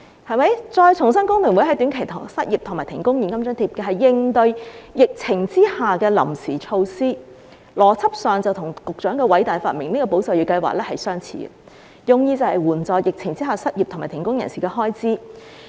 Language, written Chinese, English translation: Cantonese, 我重申，工聯會建議的短期失業和停工現金津貼是應對疫情的臨時措施，邏輯上與局長的偉大發明"保就業"計劃相似，用意是援助在疫情下失業和停工人士的開支。, I would like to reiterate that the short - term cash allowance for unemployment and suspension of work proposed by HKFTU is a temporary measure to cope with the pandemic . It is similar in logic to the Employment Support Scheme a great invention of the Secretary which aims to help with the expenses of those who are unemployed or suspended from work during the pandemic